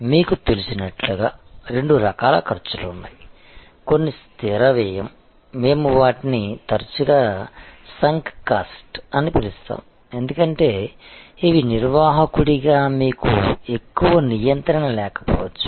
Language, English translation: Telugu, And as you know, there are two types of costs, some are fixed cost, we often call them sunk costs, because these are costs on which as a manager you may not have much of control